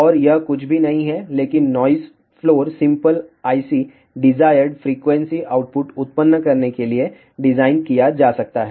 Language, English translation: Hindi, And this is nothing, but noise floor ok the simple IC can be designed to generate desired frequency output